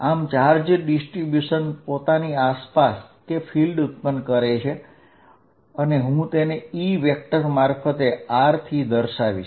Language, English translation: Gujarati, So, charge distributions creating an electric field around itself and I am going to denote it by E vector at r